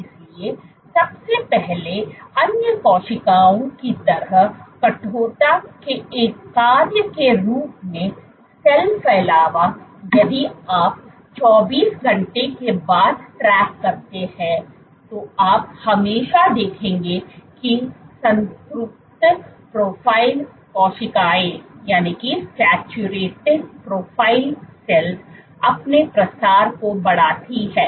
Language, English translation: Hindi, So, first of all like other cells as a function of stiffness so cell spreading if you track after 24 hours, you will always see a saturated profile cells increase its spreads